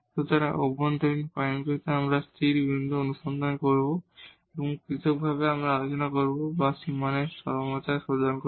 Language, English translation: Bengali, So, at interior points we will search for the stationary point and separately we will handle or we will look for the extrema at the boundary